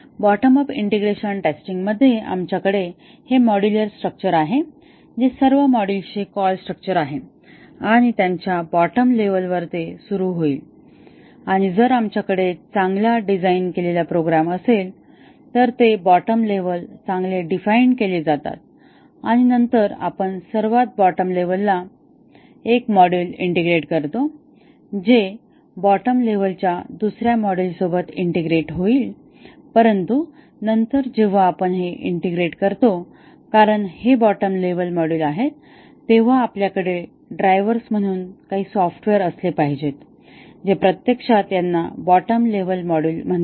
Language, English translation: Marathi, In the bottom up integration testing, we have this module structure that is a call structure of all the modules and will start at the bottom level and if we have a well designed program, then the bottom levels are well defined and then, we take the bottom most level and integrate one module with it, another bottom module with it, but then when we do this integration since these are bottom level module, then we should have some software called as drivers written which will actually call these bottom modules